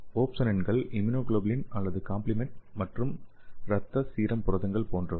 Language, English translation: Tamil, So the opsonins are like immunoglobulin or complement component and blood serum proteins okay